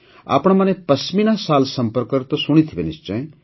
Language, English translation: Odia, You certainly must have heard about the Pashmina Shawl